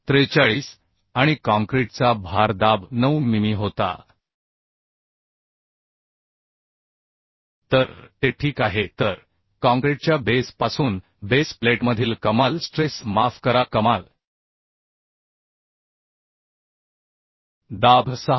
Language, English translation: Marathi, 43 and bearing pressure of the concrete was 9 mm so it is okay So the maximum stress sorry maximum pressure in the base plate from the concrete pedestal is becoming 6